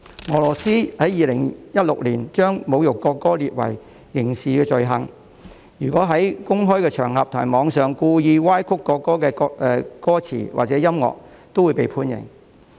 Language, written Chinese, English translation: Cantonese, 俄羅斯在2016年將侮辱國歌列為刑事罪行，如果在公開場合和網上故意歪曲國歌歌詞或曲調，均會被判刑。, Russia criminalized insult of the national anthem in 2016 so that people who intentionally distort the lyrics or score of the national anthem on public occasions and the Internet will be penalized